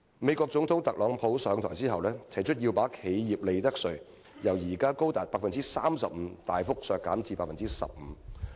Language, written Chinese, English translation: Cantonese, 美國總統特朗普上台後，提出要把企業利得稅由現時高達 35% 大幅削減至 15%。, After Donald TRUMP the President of the United States took office he announced his intention to substantially reduce the corporate income tax rate from the current 35 % to 15 %